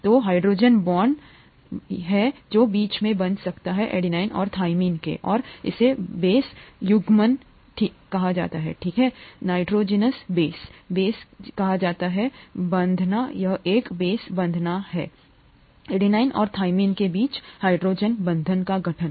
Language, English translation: Hindi, There are two hydrogen bonds that are formed between adenine and thymine and this is what is called base pairing, okay, nitrogenous base, base pairing, this is a base pairing, a hydrogen bond formation between adenine and thymine